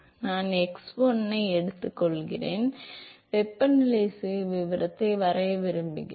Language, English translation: Tamil, Suppose I take x 1, I want to draw the temperature profile